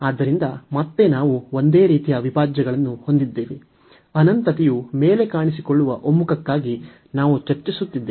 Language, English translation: Kannada, So, again we have a similar type integral, which we are discussing for the convergence where the infinity appears above